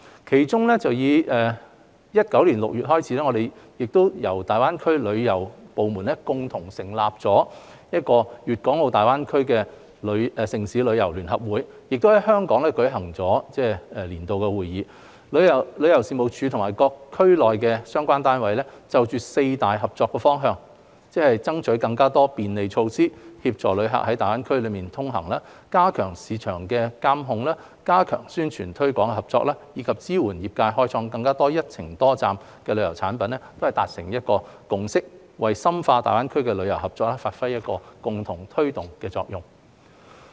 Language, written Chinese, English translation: Cantonese, 其中於2019年6月，由大灣區旅遊部門共同成立的"粵港澳大灣區城市旅遊聯合會"亦在香港舉行了年度會議，旅遊事務署與區內各相關單位就四大合作方向，即爭取更多便利措施協助旅客在大灣區內通行、加強市場監管、加強宣傳推廣合作，以及支援業界開發更多"一程多站"旅遊產品達成共識，為深化大灣區旅遊合作發揮共同推動的作用。, In June 2019 the Annual Meeting of the Tourism Federation of Cities in the Guangdong - Hong Kong - Macao Greater Bay Area jointly established by the tourism departments of the GBA cities was held in Hong Kong . The Tourism Commission has reached consensus with the relevant units in the region in four cooperation areas namely pursuing more facilitation measures for tourists travelling within GBA strengthening market regulation enhancing cooperation in terms of publicity and promotion and supporting the trade in developing more multi - destination tourism products with a view to deepening tourism cooperation within GBA